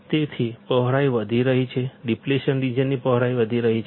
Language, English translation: Gujarati, So, the width is increasing, the width of depletion region is increasing